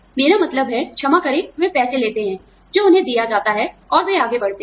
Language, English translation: Hindi, I mean, sorry, they take the money, that is given to them, and they move on